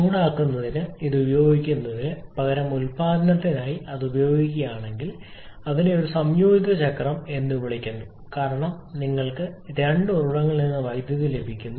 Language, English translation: Malayalam, Using this for heating and cooling applications if we use this for power production we call that are combined cycle because you are getting electricity from two sources